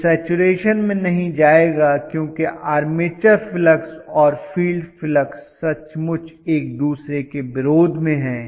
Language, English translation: Hindi, It will not go to saturation because the armature flux and the field flux are literally in opposition to each other, literally